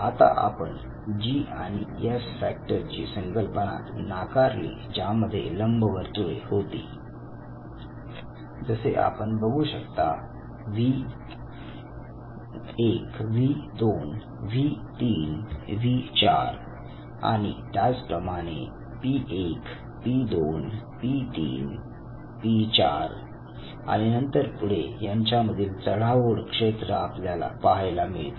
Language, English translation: Marathi, Now we rejected the concept of G and the S factors what he said was that we have the ellipses what you see here as V, V 1, V 2, V 3, V 4, and similarly P 1, P 2, P 3 and P 4, and then you have an overlapping zone